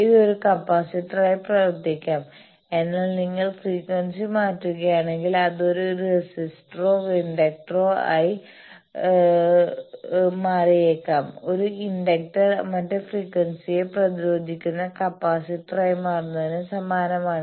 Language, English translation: Malayalam, It can be behaving as a capacitor, but if you change the frequency it may also become a resistor or an inductor, the same thing for an inductor becoming resistor capacitor other frequency